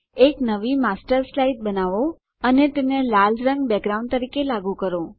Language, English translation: Gujarati, Create a new Master Slide and apply the color red as the background